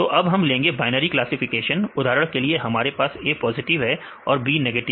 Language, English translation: Hindi, So, now we take the binary classification for example, we have the A as positive and B as negative